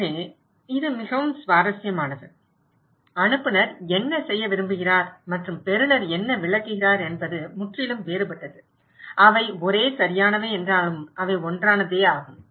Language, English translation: Tamil, So, this is so interesting, so what the sender wants to do and what the receiver is interpreting is completely different, although they are same right, they are same